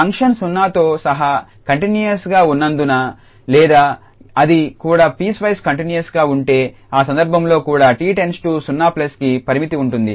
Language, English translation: Telugu, Because the function is continuous including at 0 or if it is even piecewise continuous, in that case also the limit as at t goes to 0 plus will exist